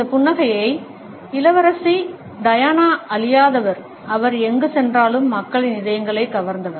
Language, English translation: Tamil, This smile has been immortalized by Princess Diana, who has captivated the hearts of people wherever she has gone